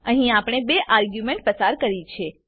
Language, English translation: Gujarati, We have passed two arguements here